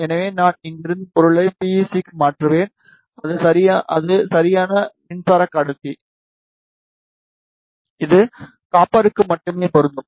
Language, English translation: Tamil, So, I will change the material from here to PEC that is Perfect Electric Conductor, which will correspond to copper only ok